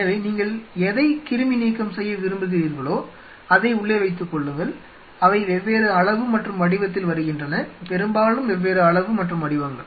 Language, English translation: Tamil, So, whatever you want to sterilize you keep them inside the and they come in different size and shape mostly different size and shapes